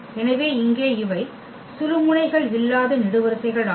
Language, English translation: Tamil, So, here these are the columns where we do not have pivots